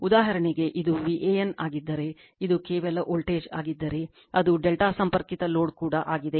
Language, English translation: Kannada, For example, if it is V an that is the voltage across this one only, it is also delta connected load